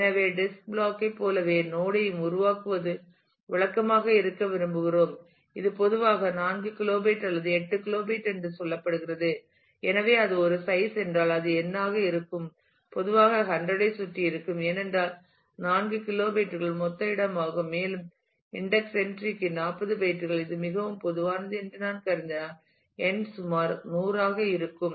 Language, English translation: Tamil, So, we would typically like to make it is customary to make the node as the same size as the disk block, which is typically say 4 kilobyte or 8 kilobyte like that and therefore, the if that is a size then it the n will be typically around 100, because if 4 kilobytes is a is a total space and if I assume that 40 bytes per index entry, which is very typical, then n would be about 100